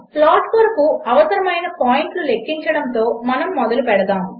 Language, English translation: Telugu, Let us start by calculating the required points for the plot